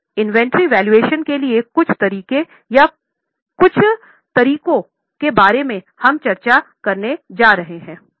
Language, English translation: Hindi, Now, there are some techniques or some methods for valuation of inventory